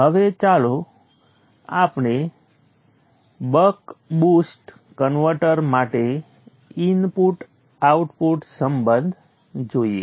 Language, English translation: Gujarati, Now let us look at the input output relationship for a buck boost converter